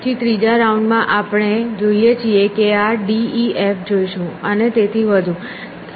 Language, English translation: Gujarati, Then in the third round we look at see this is d e f and so on